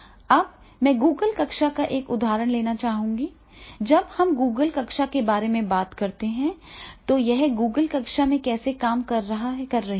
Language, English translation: Hindi, ) Now, I would like to take the example of the Google classroom, when we talk about the Google classroom, than how this Google classroom is working